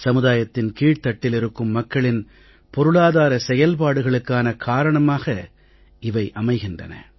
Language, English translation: Tamil, It becomes a source of the economic activities for even the poor sections of the society